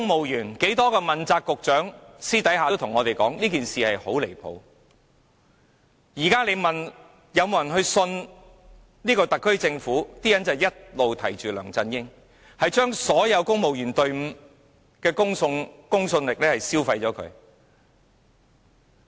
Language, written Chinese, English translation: Cantonese, 如果現時有人問：你們相信特區政府嗎？大家都會提起梁振英，他將公務員隊伍的公信力消磨殆盡。, If someone asks whether you trust the SAR Government everyone will think of LEUNG Chun - ying and he has completed destroyed the credibility of the entire civil service